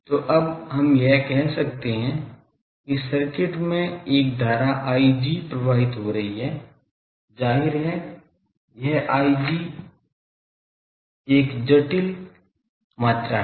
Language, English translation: Hindi, So, now we can say that there is a current flowing through the circuit I g obviously, this I g is a complex quantity